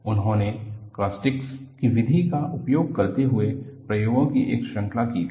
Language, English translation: Hindi, He had done a series of experiments, using the method of caustics